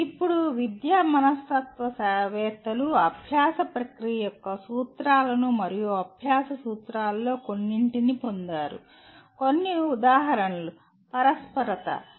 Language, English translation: Telugu, Now educational psychologists derive principles of learning process and some of the principles of learning, some examples are “contiguity”